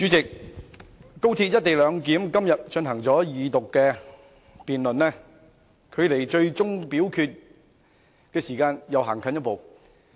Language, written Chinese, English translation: Cantonese, 代理主席，廣深港高速鐵路香港段"一地兩檢"今天進行二讀辯論，距離最終表決的時間又走近一步。, Deputy President the Second Reading debate on the co - location arrangement of the Hong Kong Section of Guangzhou - Shenzhen - Hong Kong Express Rail Link XRL today has brought us one step closer to the final vote